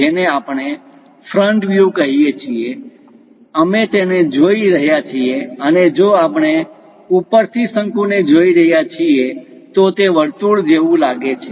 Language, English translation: Gujarati, This is what we call front view; from front side, we are looking it, and if we are looking a cone from top, it might look like a circle